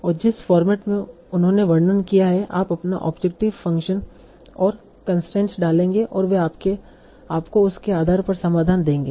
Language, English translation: Hindi, And in the format that they have described, you will put your objective function and constraints and they will give you the solution based on that